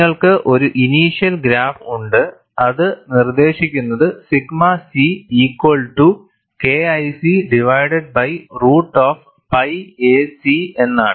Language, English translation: Malayalam, You have a initial graph, which is dictated by sigma c equal to K 1 C divided by root of pi a c